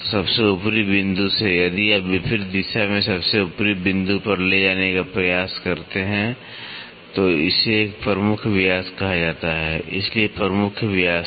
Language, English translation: Hindi, So, from the topmost point, if you try to take to the opposite side topmost point so, that is called as a major diameter so, major diameter